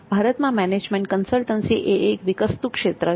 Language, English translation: Gujarati, In India, management consulting is a growing field of endeavor